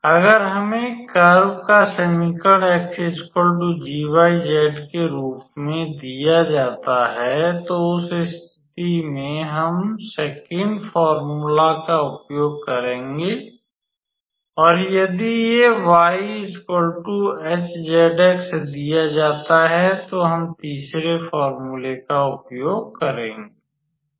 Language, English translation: Hindi, Actually if we are given the equation of the curve as x equals to g yz, then in that case we will use the 2nd formula and if it is given y equals to h zx, then we use the 3rd formula